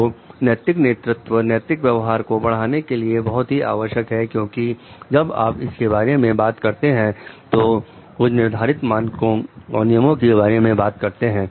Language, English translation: Hindi, So, ethical leadership is very much important for promoting ethical conduct because, when you are talking of it talks of some set standards and rules